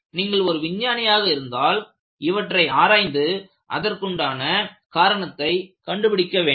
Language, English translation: Tamil, If you are a scientist, you will have to investigate and find out a reason for everything